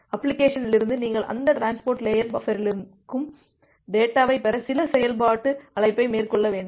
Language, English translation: Tamil, And from the application you have to make certain function call to get the data from that transport layer buffer